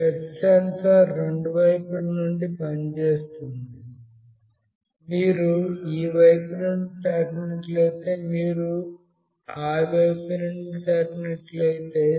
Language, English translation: Telugu, The touch sensor works from both sides, if you touch from this side as well if you touch from this side